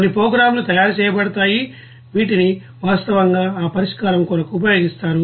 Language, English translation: Telugu, And some programs is made which is actually used for that solution